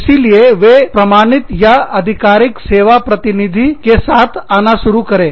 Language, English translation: Hindi, So, they started coming up with, the certified or authorized service agents